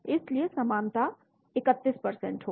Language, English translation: Hindi, so identity will be 31%